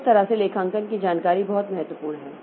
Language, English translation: Hindi, So, that way the accounting information is very important